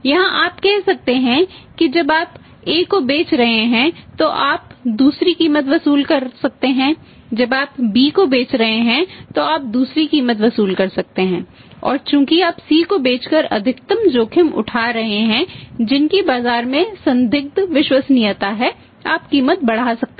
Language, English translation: Hindi, To here you can say when you are selling to A you can charge the different price when you are selling to B you can charge different price and since here your taking the maximum risk by selling to C who has a doubtful credibility in the market you can increase the price